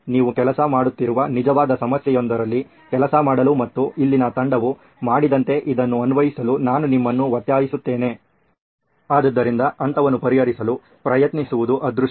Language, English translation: Kannada, I urge you to work on a real problem that you are working on and apply this as the team here did, so good luck with trying out solve stage